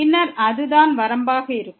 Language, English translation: Tamil, And therefore, the limit does not exist